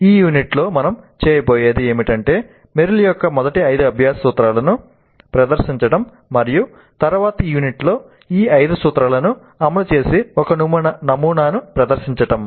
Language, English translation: Telugu, What we will do in this unit is present merills the five first principles of learning and then discuss one model that implements all these five principles in the next unit